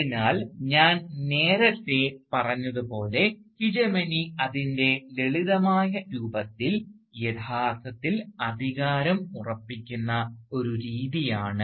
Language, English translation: Malayalam, So, as I said earlier, Hegemony in its simplest form, is actually a mode of asserting authority